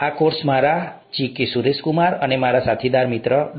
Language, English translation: Gujarati, The course will be handled by me, G K Suraishkumar and my colleague, Dr